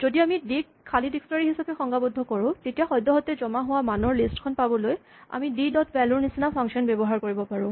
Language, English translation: Assamese, Likewise if we define d to be an empty dictionary then we can use a function such as d dot values to get the list of values currently stored, but we cannot manipulate d as a list